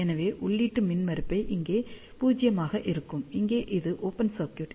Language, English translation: Tamil, So, input impedance will be 0 here, here it is open circuit